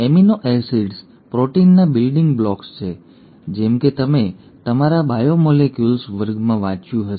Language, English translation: Gujarati, The amino acids are the building blocks of the proteins, as you would have read in your biomolecules class